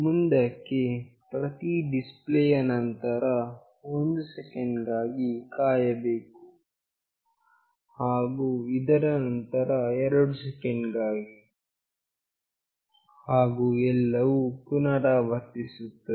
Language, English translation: Kannada, Then after every display there is a wait of 1 second, and after this there is a wait of 2 seconds, and everything repeats